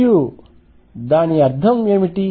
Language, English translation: Telugu, And what does that mean